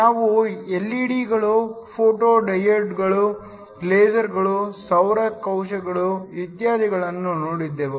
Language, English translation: Kannada, We looked at LED’s, Photo diodes, LASERs, solar cells and so on